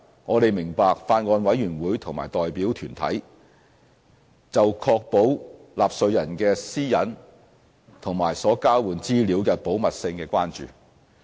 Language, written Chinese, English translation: Cantonese, 我們明白，法案委員會及代表團體就確保納稅人的私隱和所交換資料的保密事宜的關注。, We understand that the Bills Committee and deputations have expressed concern over the protection of taxpayers privacy and confidentiality of the information exchanged